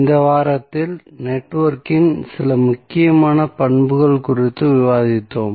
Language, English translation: Tamil, So, in this week we discussed few important properties of the network